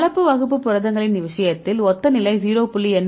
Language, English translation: Tamil, So, in the case of mixed class proteins, you can see similar level 0